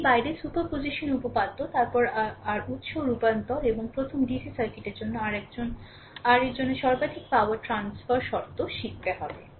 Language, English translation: Bengali, Apart from that will learn super position theorem then your source transformation and the maximum power transfer condition right for the your for the dc circuit first